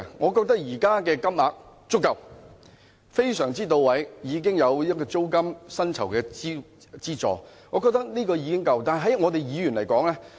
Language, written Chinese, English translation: Cantonese, 我覺得現時的金額已經足夠，非常到位，加上租金等各方面的資助，我覺得已經足夠。, I think the renumeration currently is adequate most appropriate and the allowances for rent and other aspects are also adequate